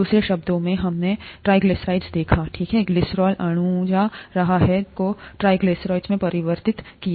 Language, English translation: Hindi, In other words, we, we saw the triglyceride, right, the glycerol molecule being converted into triglycerides